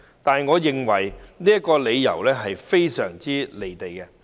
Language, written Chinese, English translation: Cantonese, 然而，我認為這個理由非常"離地"。, However I consider this reason way out of touch with the real world